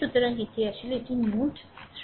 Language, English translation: Bengali, So, this is actually this is node 3 right